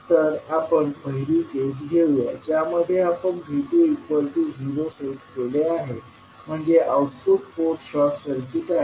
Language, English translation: Marathi, So, let us state first case in which we set V2 is equal to 0 that means the output port is short circuited